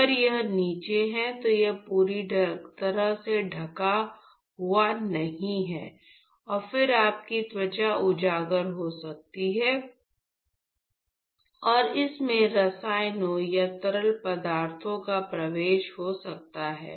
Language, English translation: Hindi, So, that it is completely covered, if it is below and then your skin could be exposed and there could be penetration of chemicals or fluids which could enter through this